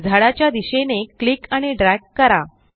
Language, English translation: Marathi, Now click and drag towards the trees